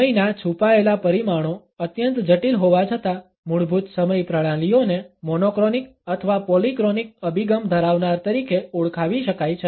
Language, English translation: Gujarati, Though the hidden dimensions of time remain to be exceedingly complex, basic time systems can be termed as possessing either monochronic or polychronic orientations